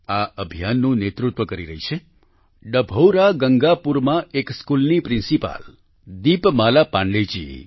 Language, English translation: Gujarati, This campaign is being led by the principal of a school in Dabhaura Gangapur, Deepmala Pandey ji